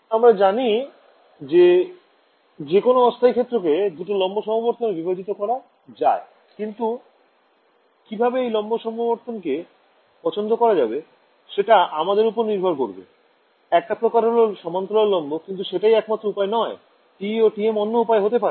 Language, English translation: Bengali, So, I know that any arbitrary plane wave can be broken up into two orthogonal polarizations, but how I choose those orthogonal polarization that is up to me, one convention is parallel perpendicular, but that is not the only way, another way could be TE and TM